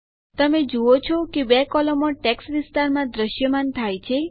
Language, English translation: Gujarati, You see that 2 columns get displayed in the text area